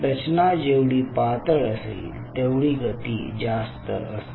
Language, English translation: Marathi, thinner the structure, you will see much more better motion